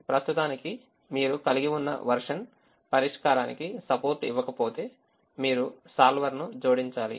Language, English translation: Telugu, if the version that you have at the moment does not support the solver, you have to add the solver into